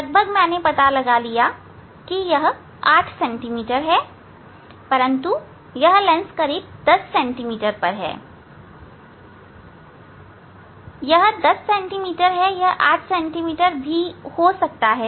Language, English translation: Hindi, just approximately, I just find out that is a 8 centimeter, but this lens is approximately 10 centimeter, but it may not be the, it is 10 centimeter, it can be 8